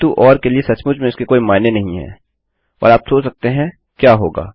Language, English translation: Hindi, But for the or that doesnt really makes sense and you can imagine what will happen